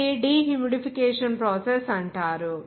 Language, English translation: Telugu, It is called the dehumidification process